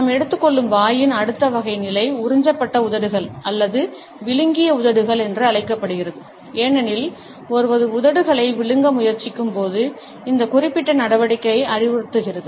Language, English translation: Tamil, The next type of position of mouth which we shall take up is known as sucked lips or swallowed lips, because this particular action suggests as one is trying to swallow the lips themselves